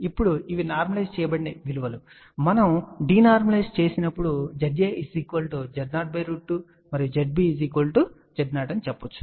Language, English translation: Telugu, Now, these are normalized value when we denormalize we can say that Z a is equal to Z 0 by square root 2 and Z b is equal to Z 0